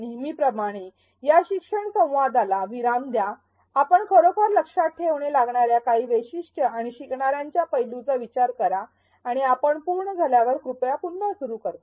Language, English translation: Marathi, As usual, pause this learning dialogue, think of a few characteristics or aspects of the learner that you really have to keep in mind and when you are done please resume